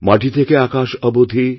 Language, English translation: Bengali, From the earth to the sky,